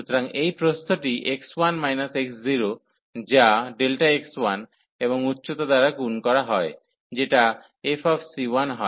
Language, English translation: Bengali, So, this width x 1 minus x 0, which is delta x 1 and multiplied by the height, which is f c 1